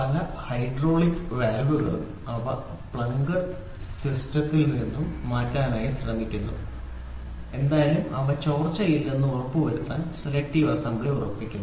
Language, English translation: Malayalam, Many of the hydraulic valves the cylinder and the piston and the valve whatever it is they try to do selective assembly to make sure there is no leak